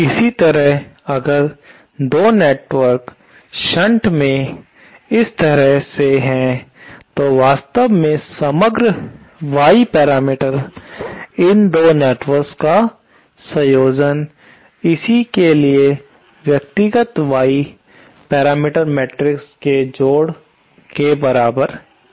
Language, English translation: Hindi, Similarly say if 2 networks are in shunt like this then actually the overall Y parameters of these 2 networks of the combination is simply the addition of the individual Y parameter matrix